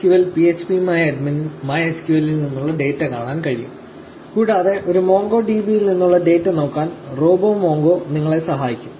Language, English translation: Malayalam, So MySQL phpMyAdmin can look at the data from MySQL, and RoboMongo will help you to look at the data from a MongoDB